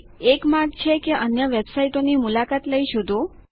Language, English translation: Gujarati, One way is to search by visiting other websites